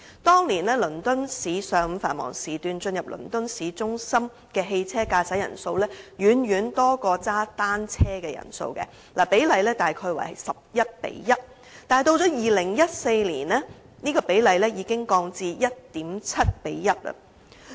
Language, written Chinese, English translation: Cantonese, 當年，倫敦市上午繁忙時段駕駛汽車進入倫敦市中心的人數遠多於踩單車的人數，比例大約是 11：1， 但及至2014年，比例已經降至 1.7：1 了。, Back in that year people driving into central London during morning peak hours in the London city outnumbered those who cycled and the ratio was roughly 11col1 . But in 2014 the ratio already dropped to 1.7col1